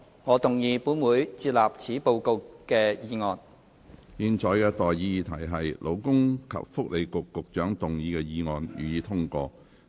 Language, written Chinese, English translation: Cantonese, 我現在向各位提出的待議議題是：勞工及福利局局長動議的議案，予以通過。, I now propose the question to you and that is That the motion moved by the Secretary for Labour and Welfare be passed